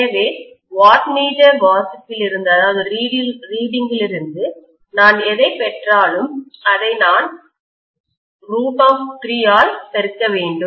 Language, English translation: Tamil, So whatever I get from the wattmeter reading, I have to multiply that by root 3